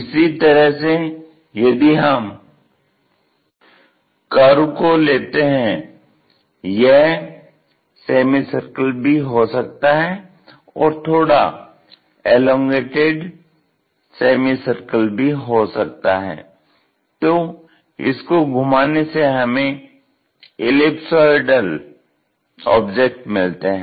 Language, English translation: Hindi, Similarly, if we have curves for example, this curve, it can be semicircle it can be slightly elongates ah semicircle also, if we revolve it ellipsoidal kind of objects we will get